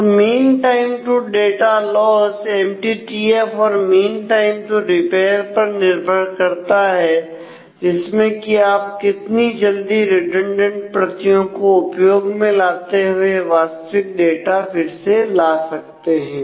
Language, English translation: Hindi, So, mean time to data loss it depends on the MTTF plus the mean time to repair how quickly can we use your redundant copies and get back the original data